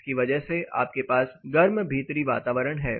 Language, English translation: Hindi, Because of this you have warmer or hotter indoor environment